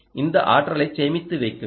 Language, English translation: Tamil, where do you want to store this energy